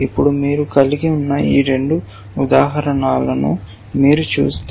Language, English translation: Telugu, Now, if you look at this two examples that we have